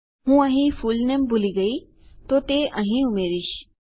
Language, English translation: Gujarati, I forgot the fullname here, so Ill add it there